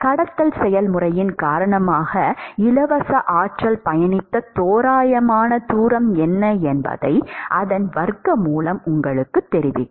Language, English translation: Tamil, And square root of that will tell you what is the approximate distance free energy has traveled because of the conduction process